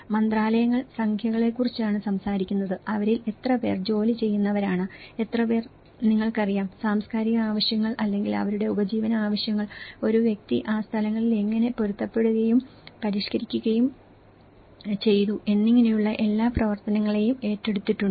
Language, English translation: Malayalam, The ministries only talk about the numbers, how many of them are occupied and how many are there adequately you know, addressed the cultural needs or their livelihood needs and how a person have adapted and modified it these places